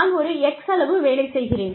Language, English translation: Tamil, I put an x amount of work